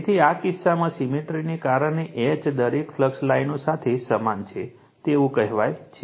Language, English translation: Gujarati, Now, in this case because of symmetry H is uniform along each flux line